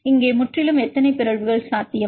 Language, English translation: Tamil, Here totally how many mutation is possible